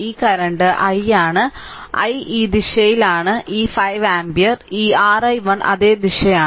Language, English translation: Malayalam, So, this current is i i is this direction is this 5 ampere that this is your i 1 same direction